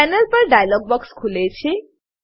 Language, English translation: Gujarati, A dialog box opens on the panel